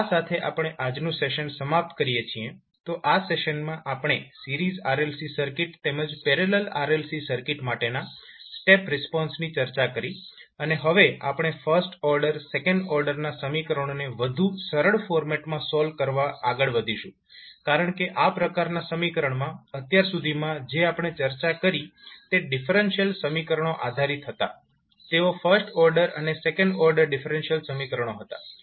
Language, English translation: Gujarati, so with this we can close our today’s session, so in this session we discussed the step response for Series RLC Circuit as well as the Parallel RLC Circuit and now we will proceed forward to solve this first order second order equations in more easier format, because in this type of equations till know what we discussed was based on the differential equations those were first order and second order differential equations